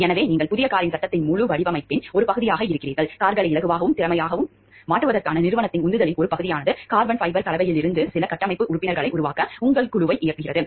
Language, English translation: Tamil, So, you are a part of the whole design of the frame of the new car; a part of the company’s drive to make cars lighter and more efficient your team is directed to make some of the structural members out of carbon fiber composite